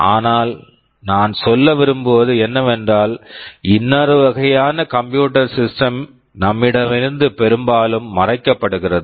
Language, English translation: Tamil, But what I want to say is that, there is another kind of computing system that is often hidden from us